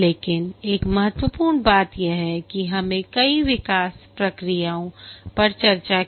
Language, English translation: Hindi, But one important thing is that we discussed several development processes